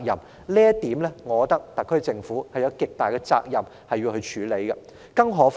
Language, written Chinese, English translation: Cantonese, 就這一點，我認為特區政府有極大責任要處理。, In this connection I consider the SAR Government has the greatest responsibility to deal with the issue